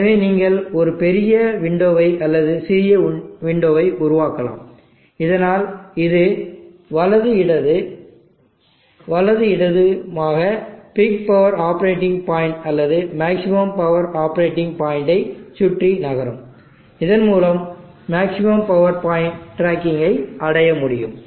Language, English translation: Tamil, So you can make a big window or a small window so that this will be moving right left, right left, around the peak power operating point or the maximum power operating point and thereby achieving maximum power point tracking